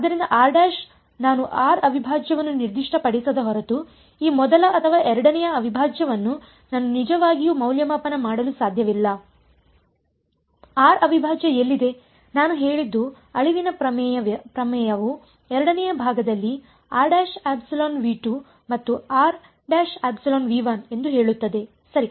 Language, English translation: Kannada, So, r prime unless I specify r prime I cannot actually evaluate this first or second integral was where is r prime all I have said is all that extinction theorem says is r prime must belong to V 2 and r prime must belong to V 1 in the second part right